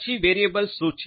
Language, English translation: Gujarati, Then what is a variable